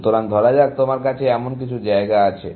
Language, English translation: Bengali, So, let us say, you have some such place